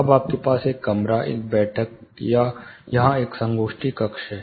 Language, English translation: Hindi, Now, you have one room, a meeting or a seminar room here